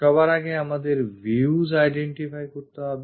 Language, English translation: Bengali, First of all, we have to identify the views